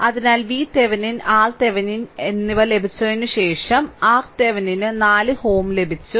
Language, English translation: Malayalam, So, after getting V Thevenin and R Thevenin, R Thevenin we have got your 4 ohm right